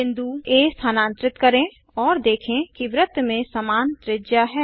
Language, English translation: Hindi, Lets Move the point A see that circle has same radius